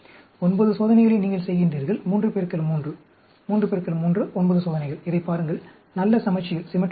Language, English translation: Tamil, 9 experiments you are doing; 3 into 3, 3 into 3, 9 experiments; look at it, nice symmetry